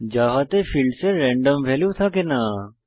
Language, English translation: Bengali, In Java, the fields cannot have random values